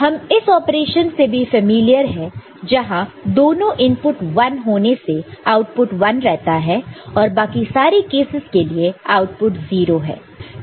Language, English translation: Hindi, We are also familiar with this operation and when both of them are 1 output is 1 all right and rest of the cases output is 0 this is 0